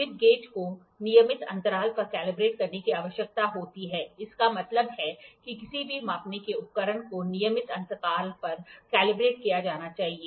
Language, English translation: Hindi, The slip gauge needs to be calibrated at regular intervals; that means any measuring instrument has to be calibrated at regular intervals